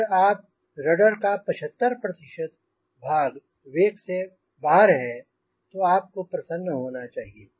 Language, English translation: Hindi, if your seventy five percent of the rudder is out of the wake, you should be happy